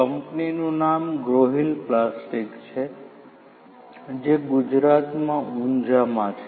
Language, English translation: Gujarati, The name of the company is Growhill Plastics which is in Unjha in Gujarat